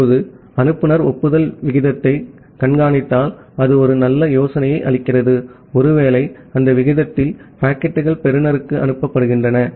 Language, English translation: Tamil, Now, if sender monitors the rate of acknowledgement that gives an idea that well, possibly at that rate, the packets are being transmitted to the receiver